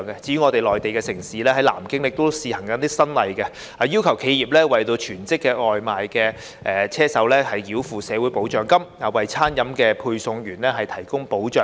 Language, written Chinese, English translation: Cantonese, 至於內地城市南京亦試行新例，要求企業為全職外賣"車手"繳付社會保障金，為餐飲配送員提供保障。, Under the trial implementation of a new regulation in the Mainland city of Nanjing enterprises are required to make social security payments for full - time takeaway delivery workers so as to provide protection to them